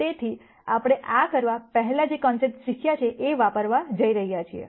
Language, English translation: Gujarati, So, we are going to use concepts that we have learned before to do this